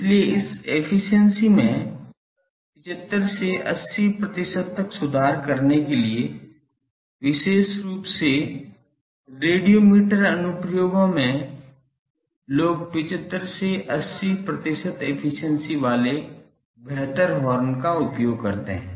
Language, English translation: Hindi, So, to improve this efficiency to 75 to 80 percent in particularly in radiometer applications distance star a thing people use better horns with 75 80 percent thing